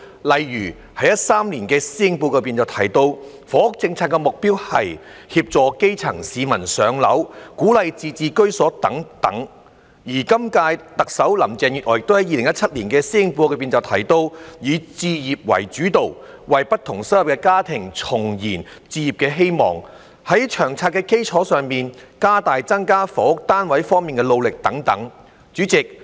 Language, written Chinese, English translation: Cantonese, 例如2013年的施政報告提到，房屋政策的目標是"協助基層市民'上樓'"、"鼓勵自置居所"等；而今屆特首林鄭月娥亦在2017年的施政報告提到，"以置業為主導，為不同收入的家庭重燃置業希望"、在"《長策》的基礎上，加大增加房屋單位方面的努力"等。, For example in the 2013 Policy Address it was mentioned that the objectives of the housing policy were to assist grassroots families to secure public housing encourage those who can afford it to buy their own homes etc while in the 2017 Policy Address the current Chief Executive Mrs Carrie LAM also mentioned that she would focus on home - ownership to rekindle the hopes of families in different income brackets to become home - owners step up our effort in increasing the supply of housing units based on the LTHS etc